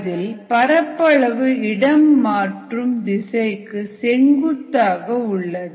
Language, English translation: Tamil, the area is perpendicular to the direction of transport